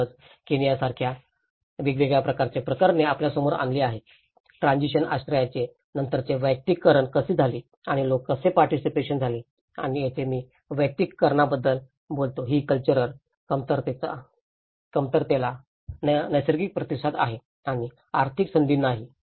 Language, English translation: Marathi, So, there are different cases we have come across like in Kenya, how the transition shelter has been personalized later on and how people have participated and this is where I talk about the personalization is a natural response to cultural deficiency and also to the economic opportunities